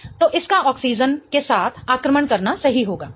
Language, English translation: Hindi, So, it would be right to attack with that oxygen